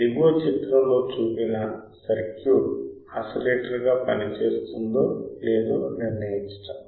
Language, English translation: Telugu, Example 1 is determine whether the circuit shown in figure below will work as an oscillator or not